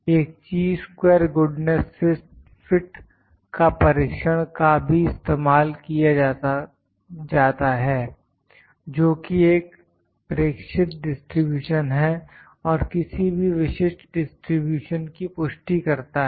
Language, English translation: Hindi, A Chi square goodness fit of test is also used which is an observed distribution that confirms at to any particular distribution